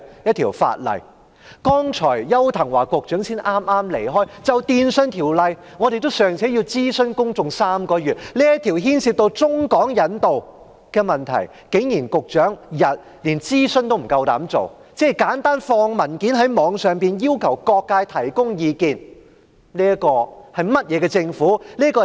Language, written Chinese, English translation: Cantonese, 邱騰華局長剛剛離席，他就《2019年廣播及電訊法例條例草案》尚且要諮詢公眾3個月，但這個牽涉到中港引渡的問題，局長竟然連諮詢，即簡單上載文件到網上，要求各界提供意見也不敢做。, Secretary Edward YAU has just left the Chamber . While he conducted a three - month public consultation on the Broadcasting and Telecommunications Legislation Amendment Bill 2019 he dared not even conduct consultation on this issue involving China - Hong Kong extradition . He has simply uploaded documents online and solicited views of various sectors